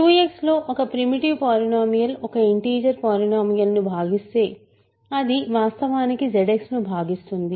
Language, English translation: Telugu, If a primitive polynomial divides an integer polynomial in Q X it actually divides in Z X itself